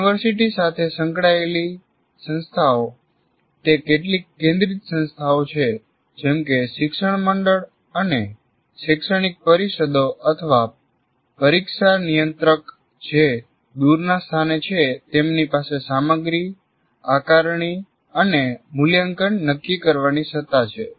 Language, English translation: Gujarati, But institutions affiliated to university, it is some centralized bodies, whatever you call them, like a board sub studies, their academic councils, they are at a distant place or the controller of exam, they have the power to decide the content, assessment and evaluation